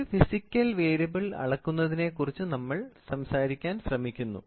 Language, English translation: Malayalam, We are trying to talk about first measure a physical variable